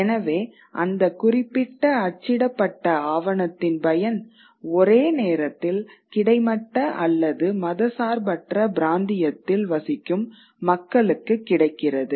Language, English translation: Tamil, So, the consumption of that particular piece of printed document is happening at the same time or within the same time bracket across that horizontal or secular region